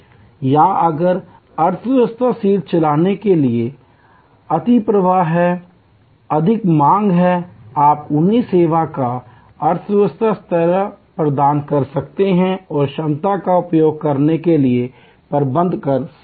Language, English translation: Hindi, Or if it is now catering to the overflow from the economy seat, you can provide them the economy level of service and manage to optimally utilize the capacity